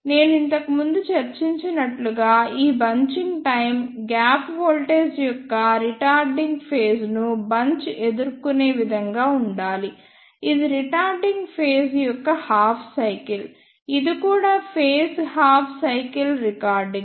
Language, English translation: Telugu, And as I discussed earlier the time of this bunching should be such that the bunching encounter the retarding phase of the gap voltage this is the half cycle of retarding phase, this is also retarding phase half cycle